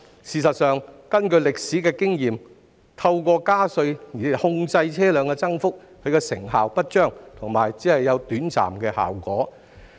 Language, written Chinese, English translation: Cantonese, 事實上，根據歷史經驗，透過加稅控制車輛增幅的成效不彰，而且效果短暫。, In fact past experience has shown that increasing taxes is not effective in controlling vehicle growth and the effects are short - lived